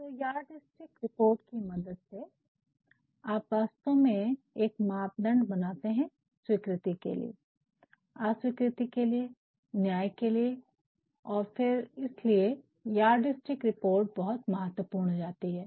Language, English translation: Hindi, So, with the help of this yardstickreport, you are actually going to formulate a criterion for allowing, for disapproving, for judging and then you that is why yardstick report becomes important